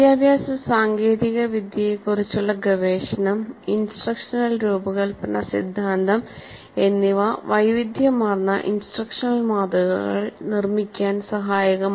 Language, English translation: Malayalam, The research into the educational technology, instruction design theory has produced a wide variety of instructional models